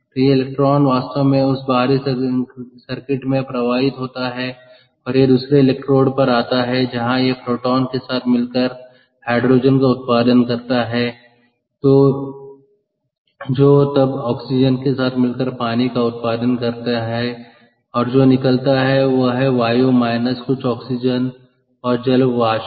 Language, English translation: Hindi, ok, so this electron actually flows to that external circuit and it comes to the other electrode where it recombines with the proton to produce hydrogen, which then combines with the oxygen to produce water, and what comes out, therefore, is the air minus some oxygen and water vapour, ok, and its an exothermic reaction